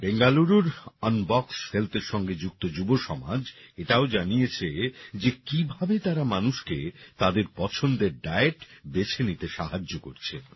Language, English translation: Bengali, The youth associated with Unbox Health of Bengaluru have also expressed how they are helping people in choosing the diet of their liking